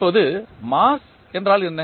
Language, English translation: Tamil, Now, first understand what is mass